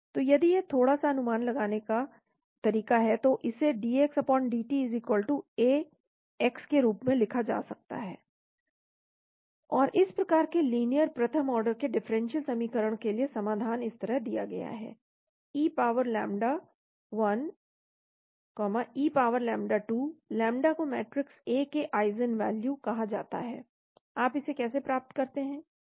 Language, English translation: Hindi, So if it is little bit of how to estimate this, this can be written as dx/dt=A x, and the solution for this type of linear first order differential equation is given like this, e power lambda 1, e power lambda 2, lambdas are called the eigenvalues of the matrix A, how do you get it